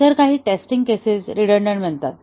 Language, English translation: Marathi, So, some of the test cases become redundant